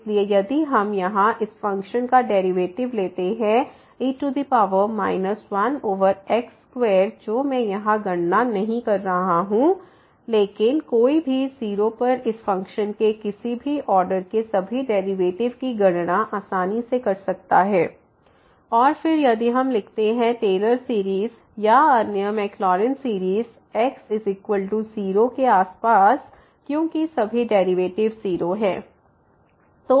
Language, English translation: Hindi, So, if we take the derivative of this function here power minus one over square which I am not doing this calculations, but one can easily compute at all the derivations of any order of this function at 0 will be 0 and then we if we write the Taylor series or other Maclaurin series around is equal to 0 then we will get because all the derivative are 0